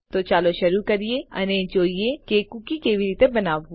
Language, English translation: Gujarati, So lets begin right away and see how to create a cookie